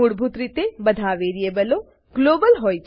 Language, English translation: Gujarati, * By default, all variables are global